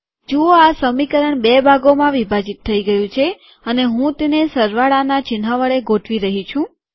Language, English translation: Gujarati, See that this equation has been broken into two parts and I am aligning it with the plus sign